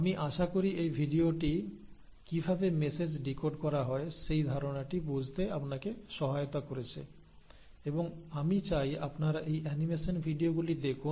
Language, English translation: Bengali, I hope this video has helped you understand the concept of how the message is decoded and I would like you to really go through these animation videos